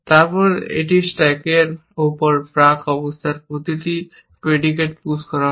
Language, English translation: Bengali, Then, it pushes each predicate of the pre conditions on to the stack